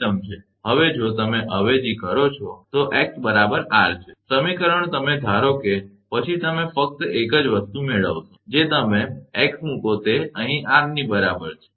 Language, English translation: Gujarati, Now, if you substitute x is equal to r, in equation you will get suppose, then you will get just one this thing you put x is equal to r here, right